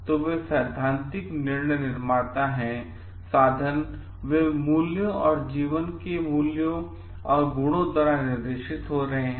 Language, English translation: Hindi, So, their principled decision makers, means, they move by values and guided by values and virtues of life